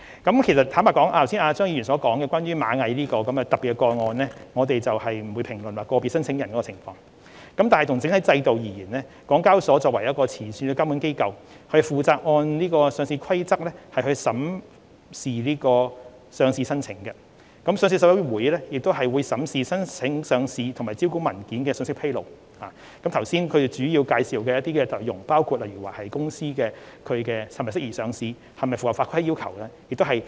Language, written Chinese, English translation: Cantonese, 關於張議員剛才提到螞蟻集團這宗特別的個案，我們不會評論個別申請人的情況，但就整體制度而言，港交所作為前線監管機構，負責按《上市規則》審視上市申請，上市委員會亦會審視上市申請和招股文件的信息披露，包括剛才所述的申請人是否適合上市和是否符合合規要求等。, Regarding Ant Group a special case mentioned by Mr CHEUNG just now we will not comment on the case of a specific applicant . Yet speaking of the listing regime as a whole HKEX is the frontline regulatory authority responsible for approving listing applications in accordance with the Listing Rules while the Listing Committee is responsible for vetting the information disclosed in the listing applications and listing documents to consider whether the applicants are suitable for listing and whether they have complied with the regulatory requirements etc as I just said